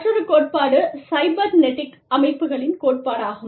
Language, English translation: Tamil, Another theory is the theory of cybernetic systems